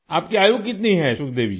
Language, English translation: Hindi, how old are you Sukhdevi ji